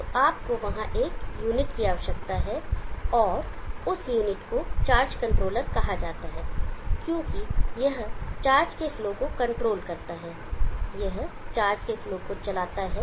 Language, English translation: Hindi, So you need a unit there and that unit is called the charge controller, because it controls the flow of charge and controls this, it steers the flow of charge